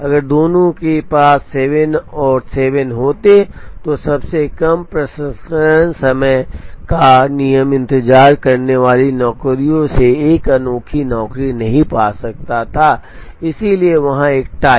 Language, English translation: Hindi, If both of them had 7 and 7, then the shortest processing time rule would not be able to get a unique job from the jobs waiting, so there will be a tie